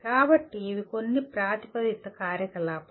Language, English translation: Telugu, So these are some proposed activities